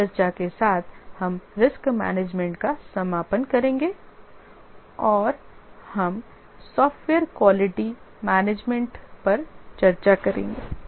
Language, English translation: Hindi, With this discussion we will conclude the risk management and we will discuss about software quality management